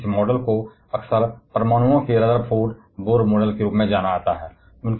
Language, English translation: Hindi, And therefore, this model is often referred as the Rutherford Bohr model of atoms